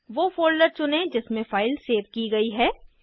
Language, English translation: Hindi, Choose the folder in which file is saved